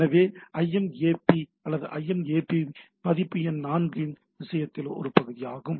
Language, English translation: Tamil, So, that is the part of this in case of a IMAP or IMAP version 4